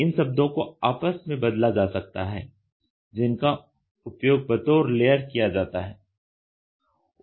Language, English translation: Hindi, These are terminologies which are interchanged which are used in terms of layer